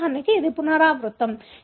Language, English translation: Telugu, For example, this is a repeat